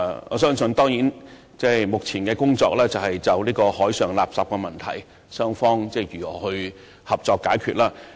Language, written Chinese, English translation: Cantonese, 我相信，雙方目前的工作當然是集中就海上垃圾問題商討合作解決方法。, I trust that both sides must now be focusing on ways to resolve the problem of marine refuse through concerted efforts